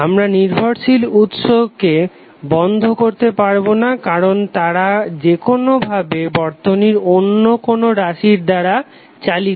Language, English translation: Bengali, We cannot switch off the dependent sources because they are anyway controlled by some circuit variable